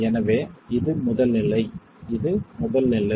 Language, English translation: Tamil, So this is the first stage